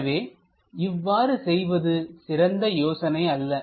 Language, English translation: Tamil, So, this is not a good idea